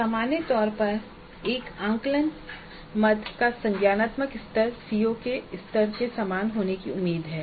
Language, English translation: Hindi, Now in general the cognitive level of the cognitive level of an assessment item is expected to be at the same level as that of the CO